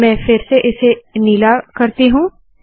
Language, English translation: Hindi, So let me just put this back to blue